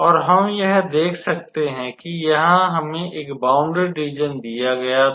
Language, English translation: Hindi, And we can see that so here we can see that we were given a bounded region first of all